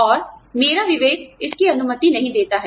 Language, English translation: Hindi, And, my conscience, does not permit it